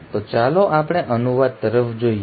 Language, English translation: Gujarati, So let us look at translation